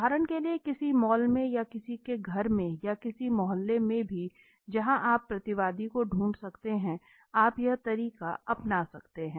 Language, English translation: Hindi, So for example in a mall or in somebody’s house or even in some locality where you can find the respondent so you can do it